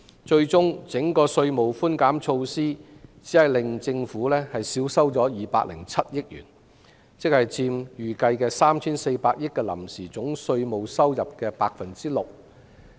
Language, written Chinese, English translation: Cantonese, 最終整個稅務寬減措施只令政府少收約207億元，佔預計的 3,400 億元臨時總稅務收入的 6%。, Eventually the entire tax concession measure will only cause the Government to forgo 20.7 billion in tax which makes up only about 6 % of the 340 billion provisional figure for total tax revenue